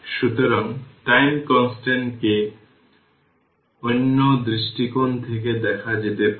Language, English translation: Bengali, So, the time constant may be viewed from another perspective